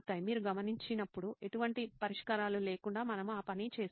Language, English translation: Telugu, As you observe it, without any solutions we have done that